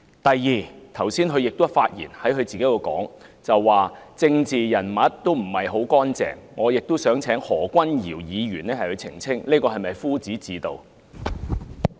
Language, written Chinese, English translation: Cantonese, 第二，他在剛才的發言中表示，政治人物不是很乾淨，我想請何君堯議員澄清，這是否夫子自道？, Secondly in his speech earlier he said that political figures were usually not very clean . I would ask Dr Junius HO to clarify whether he was referring to himself